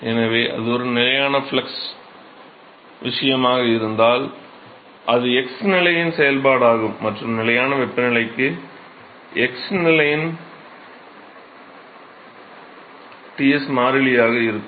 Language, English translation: Tamil, So, that is a function of x position if it is a constant flux case and Ts of x is constant for constant temperature case